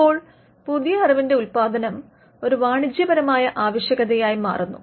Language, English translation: Malayalam, Now, the production of new knowledge in that case becomes a market necessity